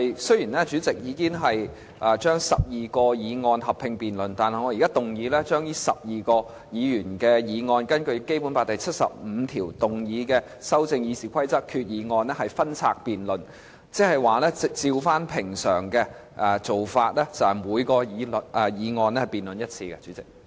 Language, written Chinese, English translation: Cantonese, 雖然主席已經把12項擬議決議案合併辯論，但我現在根據《基本法》第七十五條，動議把修訂《議事規則》的擬議決議案分拆辯論，即按照平常的做法，就每項議案進行辯論。, Although the President has grouped 12 proposed resolutions under a joint debate I now move to separate the debate on the proposed resolutions to amend RoP under Article 75 of the Basic Law meaning that each motion will be debated separately in accordance with the normal practice